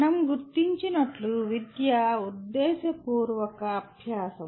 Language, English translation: Telugu, Education as we noted is intentional learning